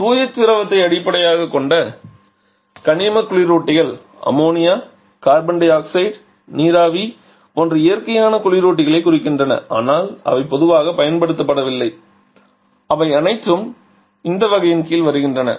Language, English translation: Tamil, Pure fluid based you know getting reference refers to the natural if the underlying ammonia carbon dioxide even water vapour though that is not very commonly used but they all come under this category